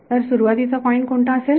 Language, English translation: Marathi, So, what is the starting point